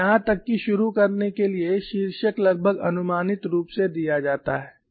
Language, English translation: Hindi, Let us look at that and even to start with the title is given as approximate